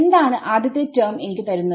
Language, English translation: Malayalam, So, what will be the first term give me